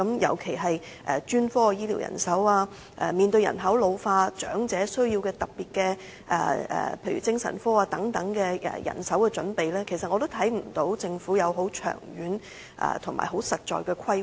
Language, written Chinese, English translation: Cantonese, 尤其是在專科醫療人手方面，面對人口老化，政府須為長者做好醫療人手準備，但我同樣看不到政府已制訂長遠和實在的規劃。, In the face of population ageing the Government must make proper medical manpower preparations for the elderly . But I likewise fail to see that the Government has formulated any long - term and concrete planning